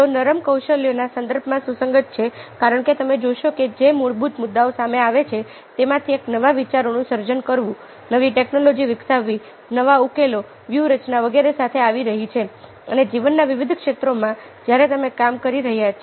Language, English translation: Gujarati, they are relevant in the context of soft skills because you see that one of the fundamental issues which comes up is generating new ideas, developing new technologies, coming up with new solutions, ah strategies and so on and so forth in various walks of life when you are working, and much of these require creativity skills